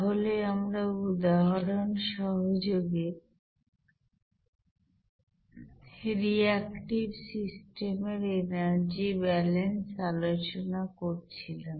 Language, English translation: Bengali, So we were discussing energy balances on reactive systems with examples